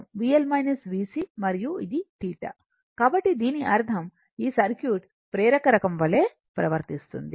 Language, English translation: Telugu, And this is theta, so that means, this circuit behave like inductive type